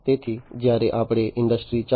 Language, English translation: Gujarati, So, when we talk about industry 4